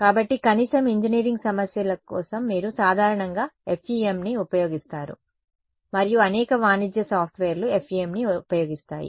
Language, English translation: Telugu, So, at least for engineering problems very commonly you would use FEM and many commercial software use FEM ok